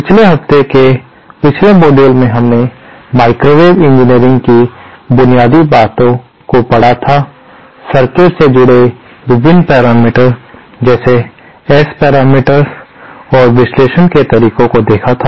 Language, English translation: Hindi, in the previous modules in the previous weeks, we had covered the basics of microwave engineering, the various parameters associated with characterising a circuit like S parameters and also the methods for analysing